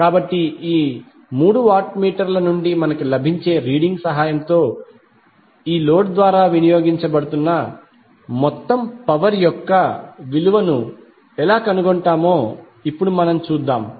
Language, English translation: Telugu, So now let us see how we will find the value of the total power being consumed by this load with the help of the reading which we get from these three watt meters